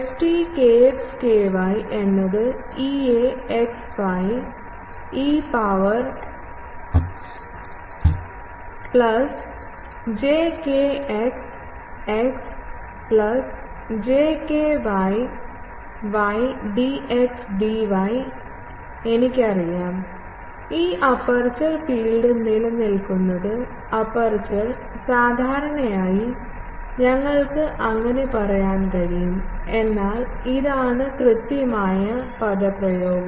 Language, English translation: Malayalam, ft kx ky is equal to E a x y e to the power plus j kx x plus j ky y dx dy and I know that, this aperture field exist only over the aperture, generally, you can say so, but this is the exact expression